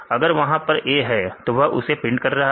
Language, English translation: Hindi, If it contains A, it will print